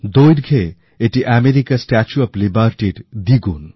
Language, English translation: Bengali, It is double in height compared to the 'Statue of Liberty' located in the US